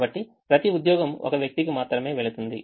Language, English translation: Telugu, so each job goes to one person